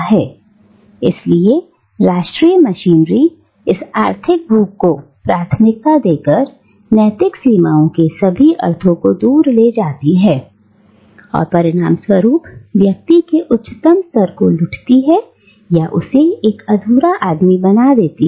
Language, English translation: Hindi, ” So, the national machinery, by prioritising this economic appetite, takes away all sense of moral limits and consequently robs an individual of his higher nature and makes him an incomplete man